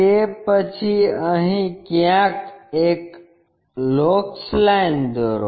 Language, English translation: Gujarati, Then, draw a locus line somewhere here